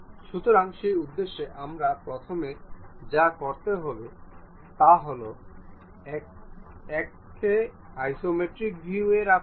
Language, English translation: Bengali, So, for that purpose, what we have to do first of all keep it in isometric view